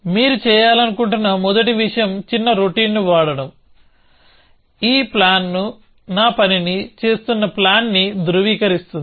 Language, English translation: Telugu, So, the first thing you want to do is to write small routine, which will validate a plan that this plan is doing my task